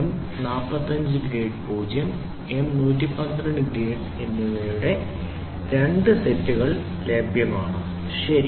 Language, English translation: Malayalam, 2 sets of M 45 grade 0 and M 112 grade are available, ok